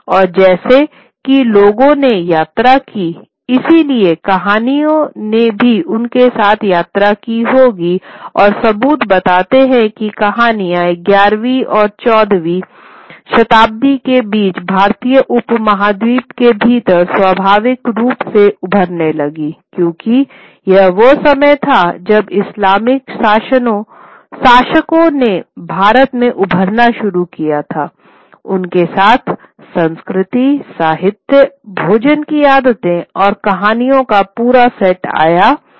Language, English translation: Hindi, And as people travel, so stories would travel with them and stories, the evidence suggests that this story started emerging within the Indian subcontinent somewhere between the 11th and 14th century, quite naturally so, because this was the time when the Islamic rulers started emerging in India